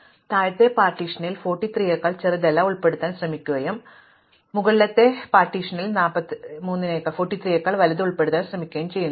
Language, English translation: Malayalam, So, we are trying to include in the lower partition everything smaller than 43 and we are trying to include in the upper partition everything bigger than 43